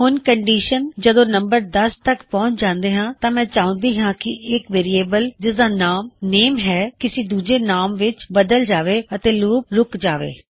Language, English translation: Punjabi, Now the condition when the number reaches 10, I want a variable called name, to be changed to another name in which the loop will stop